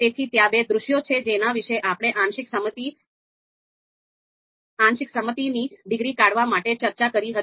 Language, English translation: Gujarati, So these are two scenarios, these are two scenarios that we talked about to deduce the partial concordance degree